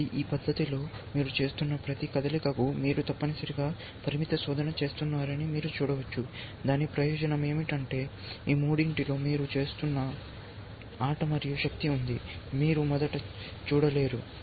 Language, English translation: Telugu, So, in this manner, you can see that for every move that you are making, you are doing a limited search essentially, what is a advantage of that, is that there is a game and force you are looking at those part of the three, which you are not seen originally